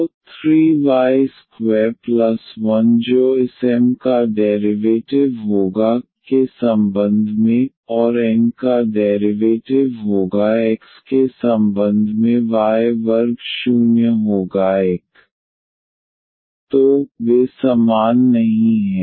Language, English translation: Hindi, So, 3 y square and plus 1 that will be the derivative of this M with respect to y and derivative of N with respect to x will be y square minus 1